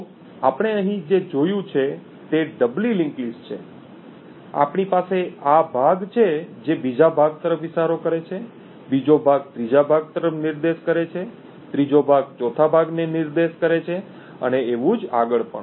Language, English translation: Gujarati, So what we have seen over here is a doubly linked list we have this chunk which is pointing to the second chunk, the second chunk points to the third chunk, third chunk points the four chunk and the other way also